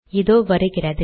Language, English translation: Tamil, So there it is